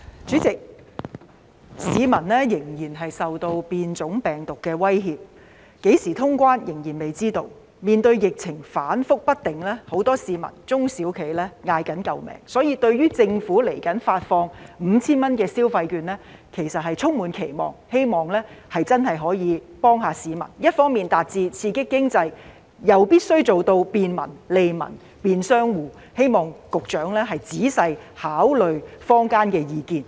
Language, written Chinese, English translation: Cantonese, 主席，鑒於市民仍然受變種病毒的威脅，何時通關仍然未知，面對疫情反覆不定，很多市民和中小企叫苦連天，因此對於政府未來發放總額 5,000 元的電子消費券實在是充滿期望，希望真的可以幫助市民，一方面達致刺激經濟，又必須做到便民、利民和便商戶，希望局長仔細考慮坊間的意見。, President given the threat posed by virus variants and the uncertainty over when the boundary will be reopened as well as the volatile pandemic situation the people and small and medium enterprises SMEs have been complaining about their plight . For that reason people have high expectations for the Governments disbursement of consumption vouchers with a total value of 5,000 in the near future hoping that the disbursement will be of real help to them . While it will stimulate the economy the disbursement arrangement should be convenient to the public and local merchants benefit the people